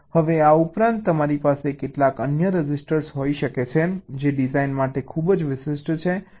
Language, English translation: Gujarati, now, in addition, you can have some other registers which i have very special to ah design